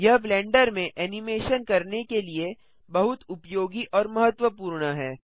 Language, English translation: Hindi, This is very useful and important for animating in Blender